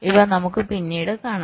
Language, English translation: Malayalam, ok, so we shall see this subsequently